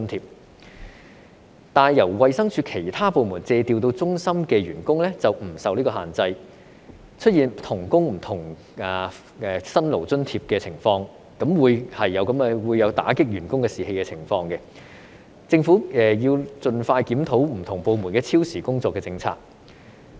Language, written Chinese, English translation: Cantonese, 可是，由衞生署其他部門借調到中心的員工便不受這個限制，出現"同工不同辛勞津貼"的情況，這便會有打擊員工士氣的情況，政府應盡快檢討不同部門超時工作的政策。, However these conditions are not applicable to staff of other divisions of the Department of Health seconded to CHP thus creating different requirements for obtaining Hardship Allowance for the same job which will undermine staff morale . The Government should review the policy on overtime work for staff of different departments as soon as possible